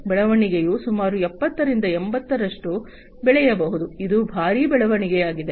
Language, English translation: Kannada, The growth is going to be accelerated from about 70 to 80, so it is a huge leap